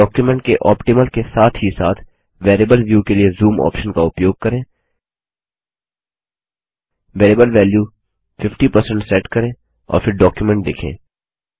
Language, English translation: Hindi, Use the zoom option to have an optimal as well as Variable view of the document.Set the variable value as 50% and then view the document